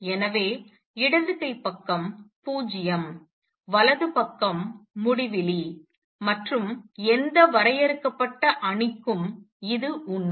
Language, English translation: Tamil, So, left hand side is 0, right hand side is infinity and that is true for any finite matrix